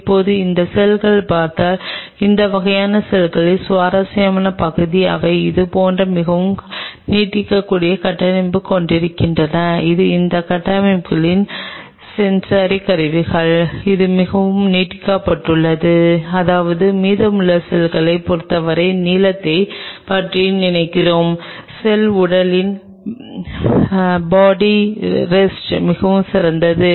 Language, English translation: Tamil, Now, if you look at these cells the interesting part of these kind of cells are they have a very extended structure like this, which is the sensory apparatus of these structures very extended I mean think of the length with respect to the rest of the cell body rest of the cell body is very small right